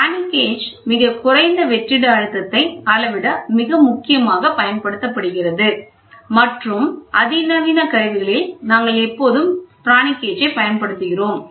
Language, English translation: Tamil, Very important Pirani gauge is used for very low vacuum and that too in the sophisticated instruments, we always use Pirani gauge